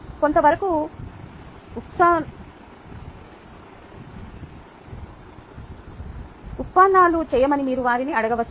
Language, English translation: Telugu, you could even ask them to do derivations in part